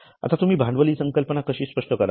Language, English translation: Marathi, Now, how do you define capital